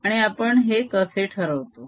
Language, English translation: Marathi, how do we decided that